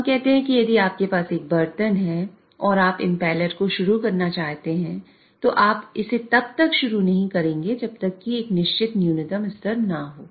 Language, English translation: Hindi, So let us say if you have a vessel and you want to start the impeller, you will not start it unless there is a certain minimum level